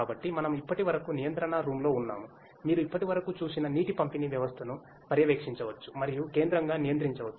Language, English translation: Telugu, So, we are at the control room the monitoring point from where the water distribution system that you have seen so far can be monitored and centrally controlled